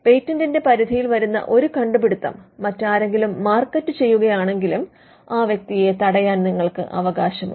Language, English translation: Malayalam, If somebody else markets an invention that is covered by a patent you have the right to stop that person